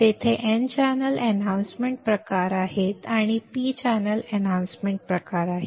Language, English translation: Marathi, There is n channel enhancement type there is p channel enhancement type